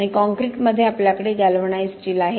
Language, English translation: Marathi, And in concrete we have galvanized steel